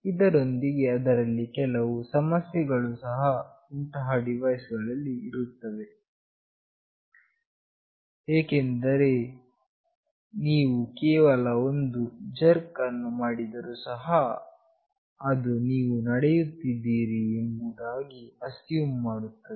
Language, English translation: Kannada, Of course, there are some issues with these devices as well, because if you are just having a jerk, then also it will assume that you are walking